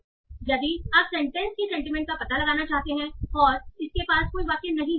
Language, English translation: Hindi, So if you want to find out the sentiment of the sentence, it does not have any sentence